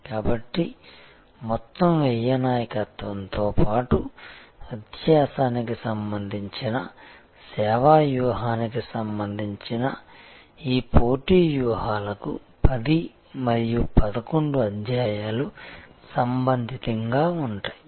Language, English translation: Telugu, So, chapter 10 and 11 will be relevant for these competitive strategies that relate to overall cost leadership as well as the service strategy relating to differentiation